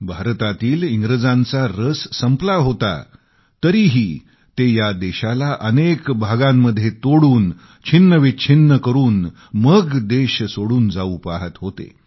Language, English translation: Marathi, The English had lost interest in India; they wanted to leave India fragmented into pieces